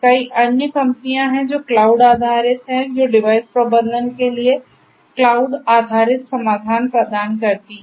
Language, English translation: Hindi, There are many other companies which do cloud based which offer cloud based solutions for device management right, offer cloud based solutions for device management